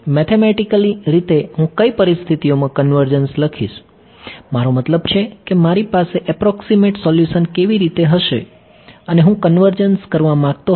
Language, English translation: Gujarati, Mathematically how will I write convergence under what conditions I mean how will I have an approximate solution and I wanted to convergence